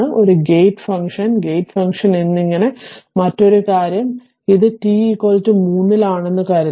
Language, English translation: Malayalam, And another thing as a gate function and the gate function and this at t is equal to 3